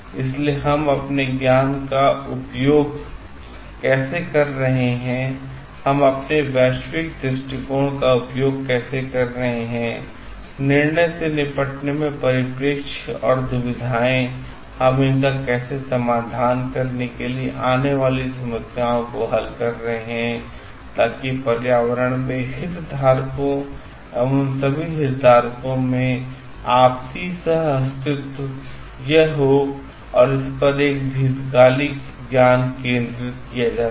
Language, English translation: Hindi, So, how we are utilising our knowledge, how we are utilizing our world view, the perspective in dealing with the decision, and dilemmas, how we are solving the problems to arrive at a solution, so that it has a long term focus on the mutual coexistence of all the stakeholders, and stakeholders in the environment